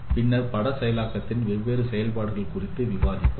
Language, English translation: Tamil, Then we have discussed no different operations in image processing